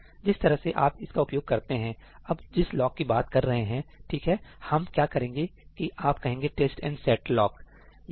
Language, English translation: Hindi, the way you use this is ñ now, that lock we were talking about,right what we do is, you say ëtest and set lockí